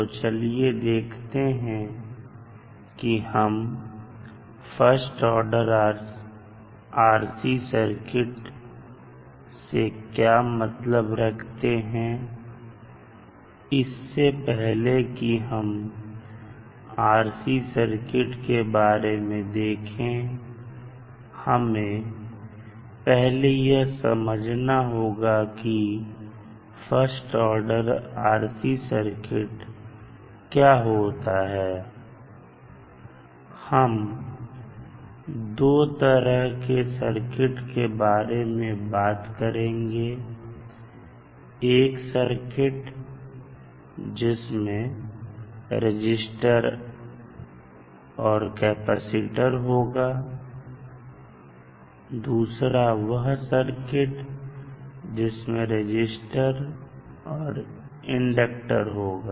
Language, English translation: Hindi, So, before going into the RC circuit particularly, let us understand what is the meaning of first order circuit, so what we will do in the first order circuit, we will discuss about two types of simple circuits which are comprising of a resistor and capacitor and a circuit which is comprising of a resistor and inductor, so these are typically called as RC and RL circuits